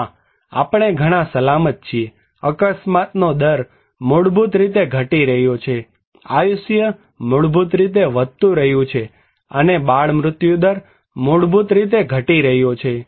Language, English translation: Gujarati, No, we are much safer, accident rate basically decreasing, life expectancy basically increasing and infant mortality rate basically decreasing